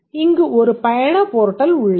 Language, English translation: Tamil, So, the travel portal is one object